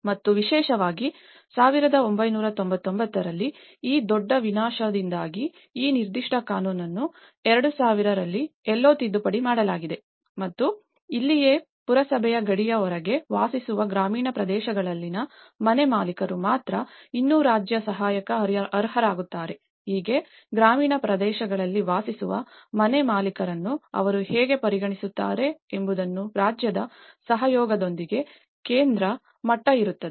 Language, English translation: Kannada, And especially, due to this major devastation in1999, this particular law has been amended, somewhere around 2000 and this is where that only homeowners in rural areas who live in outside the municipal boundaries would still qualify for state assistance, so which means, so on a central level in collaboration with the state how they actually also considered the homeowners living in the rural areas